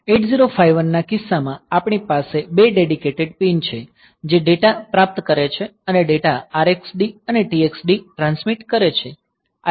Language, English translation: Gujarati, In case of 8051; we have got two dedicated pins receive data and transmit data R x D and T x D